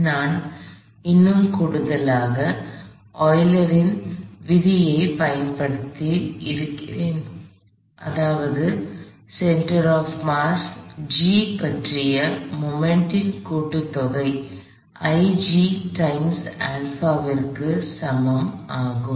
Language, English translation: Tamil, Now, I have a one more additional law which is our Euler's law that is sum of the moments about the center of mass G equals I G times alpha